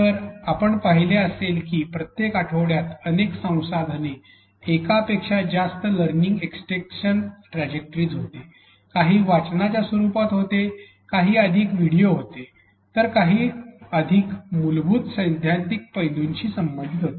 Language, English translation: Marathi, So, you would have seen that in every week there were multiple resources, multiple learning extension trajectories, some were in the form of reading, some were videos, some were applied whereas, some were related to the more fundamental theoretical aspects